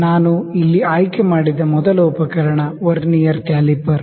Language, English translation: Kannada, The first instrument I will select here is Vernier Caliper